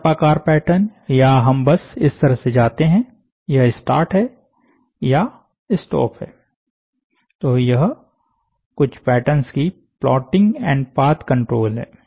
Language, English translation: Hindi, Serpentine pattern or we just go like this, this is start, this is stop, so these are some of the patterns, plotting and path control